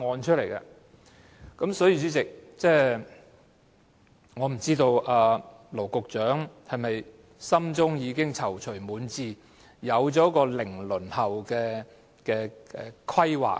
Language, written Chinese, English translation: Cantonese, 代理主席，我不知羅局長心中是否已經躊躇滿志，有了"零輪候"的規劃。, Deputy President I do not know if Secretary Dr LAW Chi - kwong has a plan for zero waiting time at heart and is full of confidence about it